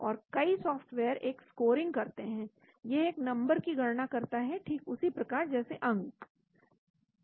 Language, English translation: Hindi, Then many softwares perform a scoring it calculates a number based on just like your marks